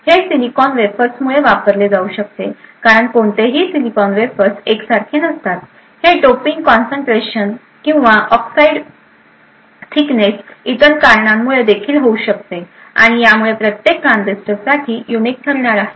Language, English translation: Marathi, This could be due to silicon wafers that are used because no silicon wafers would be exactly identical, it could also, be due to other factors such as the doping concentration or the oxide thickness and so on which is going to be unique for each transistor